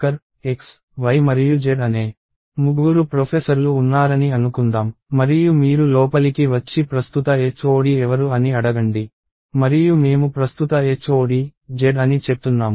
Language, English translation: Telugu, So, let us assume that there are three professors, X, Y and Z and you come in and ask who is the current HOD and I say that the current HOD is Z